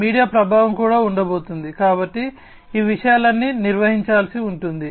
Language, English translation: Telugu, Media influence is also going to be there, so all these things will have to be handled